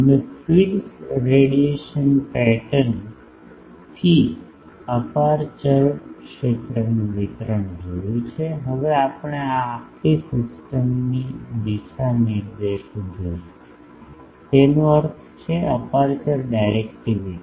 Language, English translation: Gujarati, We have seen the aperture field distribution from the feeds radiation pattern, now we will see the directivity of the this whole system; that means, aperture directivity